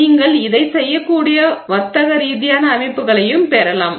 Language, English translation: Tamil, You can also get commercial systems where you can do this